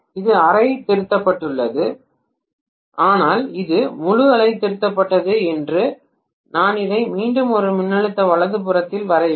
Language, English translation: Tamil, This is half wave rectified, but it is full wave rectified I have to again draw on the top of this also one more voltage right